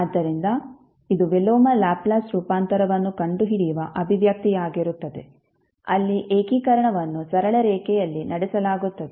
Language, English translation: Kannada, So, this would be the expression for finding out the inverse Laplace transform where integration is performed along a straight line